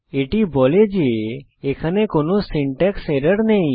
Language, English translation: Bengali, This tells us that there is no syntax error